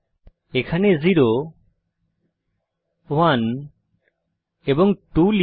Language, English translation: Bengali, Type 0 here 1 and 2